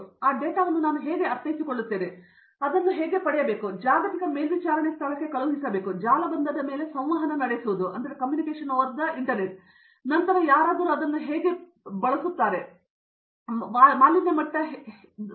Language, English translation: Kannada, Now, how do I sense that data, how do I take it out and then send it to a global monitoring place, a communicate over the network and then somebody goes and use that data and say there can be a tsunami, the pollution level is high